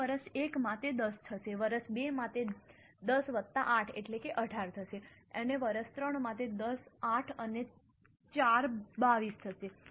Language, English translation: Gujarati, So, in year 1 it will be 10, in year 2 it will be 10 plus 8, 18